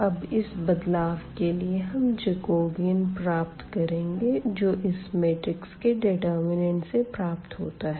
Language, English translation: Hindi, So, in this case we have this Jacobian now which we can compute by this determinant